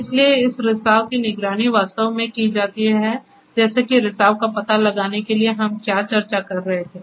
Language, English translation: Hindi, So, this leakage is actually monitored like the detection of leakage what we were discussing